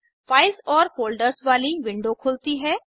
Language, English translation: Hindi, A window with files and folders opens